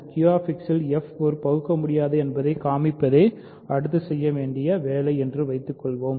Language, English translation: Tamil, Suppose, the next order of business is to show that f is irreducible in Q X